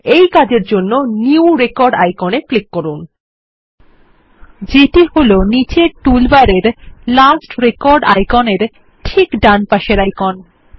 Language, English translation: Bengali, To do this, click on the New Record icon, that is second right of the Last record icon in the bottom toolbar